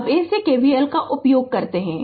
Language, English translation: Hindi, Now we apply you apply KVL like this